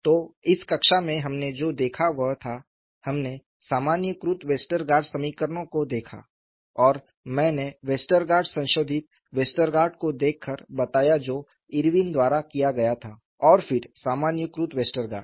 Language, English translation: Hindi, I think we will do that in the next class, so, in this class, what we looked at was, we looked at generalized Westergaard equations and I pointed out by looking at Westergaard, modified Westergaard that is done by Irwin